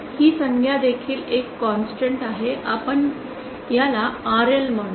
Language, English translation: Marathi, This term is also a constant let us called it RL